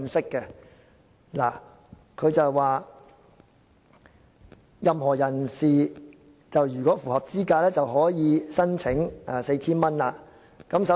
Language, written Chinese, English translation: Cantonese, 文件中提到，任何人士如符合資格便可申請該 4,000 元津貼。, The paper says that a person who meets the eligibility criteria may apply for receiving 4,000 under the Scheme